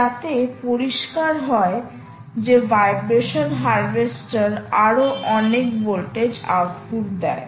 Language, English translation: Bengali, vibration harvesters essentially give you a lot more voltage output